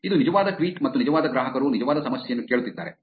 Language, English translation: Kannada, This is a real tweet and real customer asking for real problem